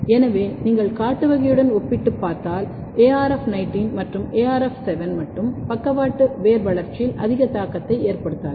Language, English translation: Tamil, So, if you compare with the wild type, arf19 and arf7 alone they do not have much effect on the lateral root development